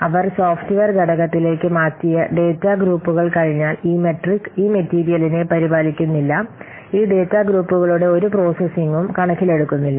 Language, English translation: Malayalam, So once they what data groups they have been moved into the software component, this metric does not take care of this, this metric does not take into account any processing of these data groups